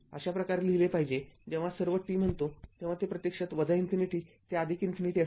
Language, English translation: Marathi, This way you should write when you say all t means it is actually in general it is actually minus infinity to plus infinity right